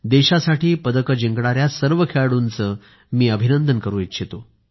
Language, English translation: Marathi, I wish to congratulate all players who have won medals for the country